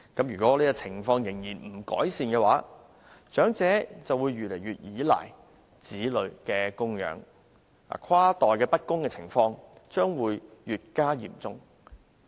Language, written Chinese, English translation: Cantonese, 如果情況不改善，長者將會越來越依賴子女的供養，跨代不公的情況將會越加嚴重。, If this situation continues elderly people will be increasingly dependent on their children and intergenerational injustice will become more serious